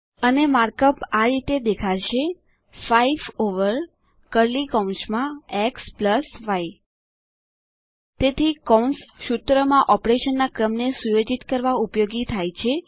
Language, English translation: Gujarati, And the mark up looks like: 5 over x+y in curly brackets So using brackets can help set the order of operation in a formula